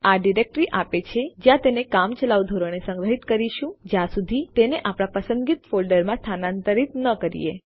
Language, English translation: Gujarati, This will give us the directory that its stored in temporarily until we transfer it to the folder of our choice